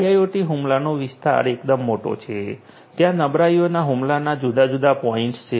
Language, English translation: Gujarati, IIoT attack surface is quite big, there are different points of vulnerability, points of attack and so on